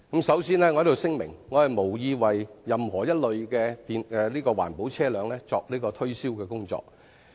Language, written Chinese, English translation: Cantonese, 首先，我聲明我無意為任何一類環保車輛作推銷的工作。, First of all I must make it clear that I do not intend to market any particular type of environment - friendly vehicles